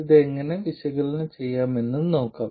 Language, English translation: Malayalam, Let's see how to analyze this